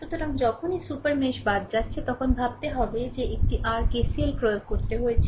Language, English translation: Bengali, So, whenever you are excluding the super mesh then you have to you have to think that one your KCL had I have to apply